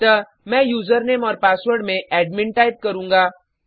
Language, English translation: Hindi, So I will type the username and password as admin.Then click on Sign In